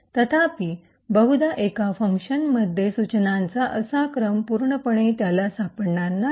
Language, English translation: Marathi, However, quite likely he will not find such a sequence of instructions present completely in one function